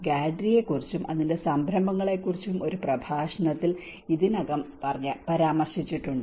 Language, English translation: Malayalam, Subhajyoti already mentioned about the Gadri and its initiatives in one of the lecture